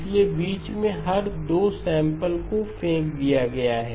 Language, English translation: Hindi, So every 2 samples in between have been thrown away